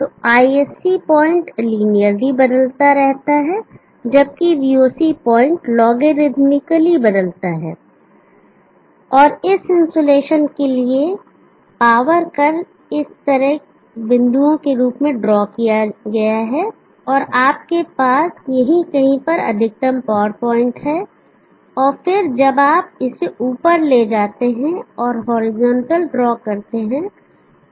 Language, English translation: Hindi, So, the ISC point varies linearly whereas the VOC point varies logarithmically, and for this insulation the power curve I will draw dotted like this and you have the maximum power point somewhere here, and then when you take that up and draw the horizontal